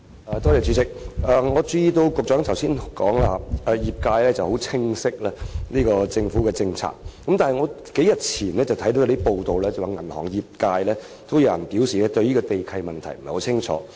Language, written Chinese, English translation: Cantonese, 我注意到局長剛才說，業界十分清晰政府的政策，但我在數天前卻看到報道，指有銀行業界人士表示對地契問題不太清楚。, I notice that the Secretary mentions just now that the industry is well aware of the relevant government policy but according to the report I read a few days ago some members of the banking sector said they were not very clear about the land lease issue